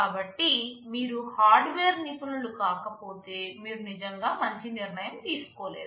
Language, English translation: Telugu, So, unless you are a hardware expert, you really cannot take a good decision here